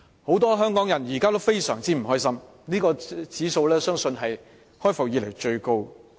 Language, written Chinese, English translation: Cantonese, 很多香港人現時仍然非常不開心，有關指數相信是開埠以來最高的。, Many Hongkongers are still very upset nowadays and the relevant index is believed to have hit an all - time high since the inception of Hong Kong